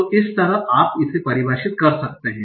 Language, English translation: Hindi, So like that you can define